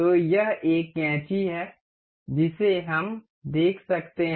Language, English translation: Hindi, So, one of this is scissor we can see